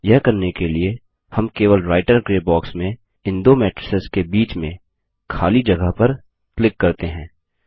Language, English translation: Hindi, To do this, we can simply click between the gap of these two matrices in the Writer Gray box